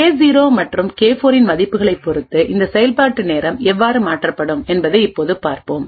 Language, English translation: Tamil, Now we will see how this execution time can vary depending on the values of K0 and K4